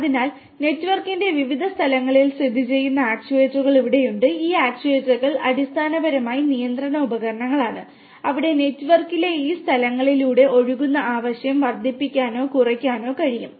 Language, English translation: Malayalam, So, here we have the actuators which are located at different locations of the network and these actuators are basically control devices, where we can increase or decrease the demand flowing through these flowing through these locations in the network